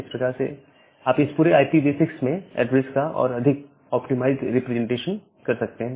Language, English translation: Hindi, So, that way you can have a more optimized representation of the entire address in IPv6